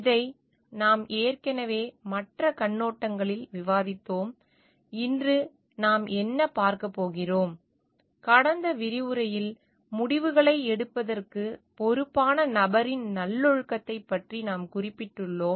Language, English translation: Tamil, This we have already discussed from the other perspectives; today what we are going to see, because in the last discussions we have mentioned about the virtuous nature of the person responsible for taking this decisions